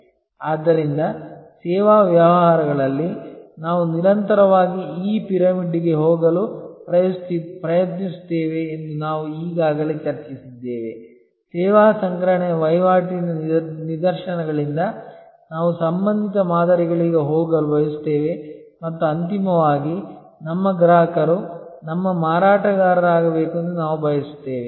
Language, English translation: Kannada, So, this we have already discussed that in services businesses we constantly try to go up this pyramid that from transactional instances of service procurement, we want to go to relational paradigm and ultimately we want our customer to become our marketer